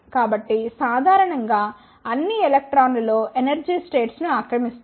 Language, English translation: Telugu, So, in general all the electrons occupy the lower energy is states